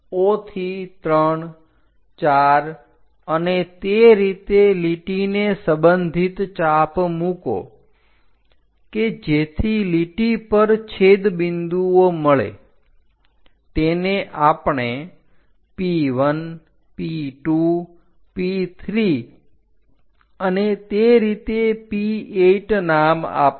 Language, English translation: Gujarati, O to 3, 4 and so on make arcs on respect to a lines so that intersection points we can name it like P1, P2, P3 and so on to P8